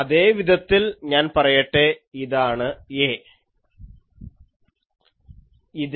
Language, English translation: Malayalam, In a similar fashion, so let me say this is A